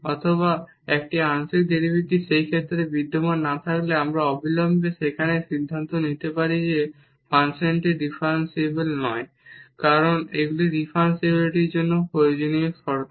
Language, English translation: Bengali, Or one partial derivative does not exist in that case we can immediately conclude there that the function is not differentiable, because these are the necessary conditions for differentiability